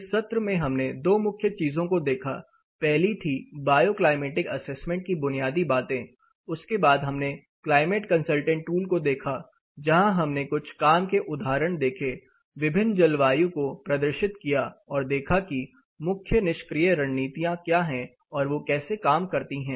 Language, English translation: Hindi, (Refer Slide Time: 42:55) In this session we looked at two important things one is the basics of bioclimatic assessment, then we looked at the tool climate consultant where we had certain working examples using which we demonstrated for different climates what are the major passive strategies and how they actually work with